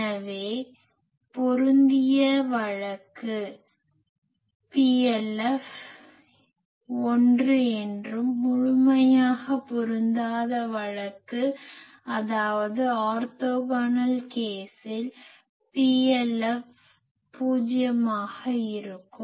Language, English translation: Tamil, So, we can say that matched case PLF is 1 and fully mismatch case; that means orthogonal case PLF will be 0